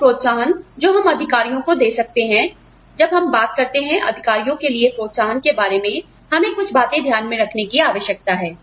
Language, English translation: Hindi, Some incentives, that we can give to executives are, you know, when we talk about, incentives for executives, we need to keep a few things in mind